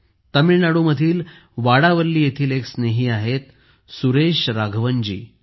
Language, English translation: Marathi, Suresh Raghavan ji is a friend from Vadavalli in Tamil Nadu